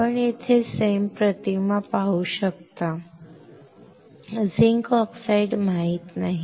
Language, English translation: Marathi, You can see the SEM image right over here; zinc oxide unaware